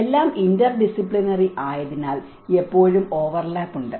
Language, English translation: Malayalam, There is always overlap because everything is interdisciplinary